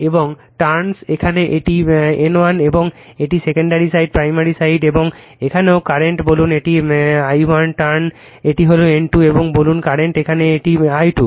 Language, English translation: Bengali, And trans here it is N 1, and this is my secondary side, right primary secondary side and here also say current say this is I 1 turn this turn this is the N 2 and say current is here it is I 2